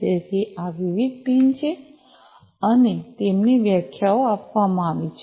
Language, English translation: Gujarati, So, these are the different pins and their definitions are given